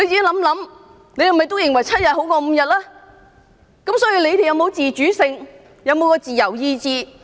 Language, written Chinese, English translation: Cantonese, 你們究竟有否自主性？有否自由意志？, I just wonder if you have the autonomy or free will to make a decision